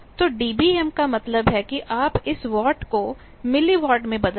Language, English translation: Hindi, So, dB m means that you convert this watt to milli watt